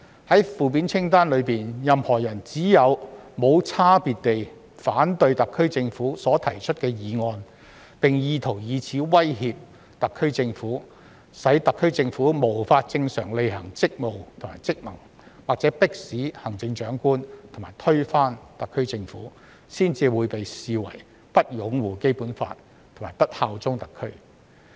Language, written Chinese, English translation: Cantonese, 在負面清單中，任何人只有"無差別地反對特區政府提出的議案"，並意圖以此威脅特區政府、使特區政府無法正常履行職務和職能，或迫使行政長官及推翻特區政府，才被視為不擁護《基本法》和不效忠特區。, In the negative list if a person indiscriminately objects to the SAR Governments motion with the intention of threatening the SAR Government rendering the SAR Government incapable of performing its duties and functions as normal or forcing the Chief Executive to step down and overthrowing the SAR Government he will be deemed as not upholding the Basic Law and not bearing allegiance to SAR . Members should call a spade a spade